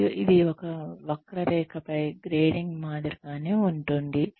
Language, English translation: Telugu, And, it is similar to grading on a curve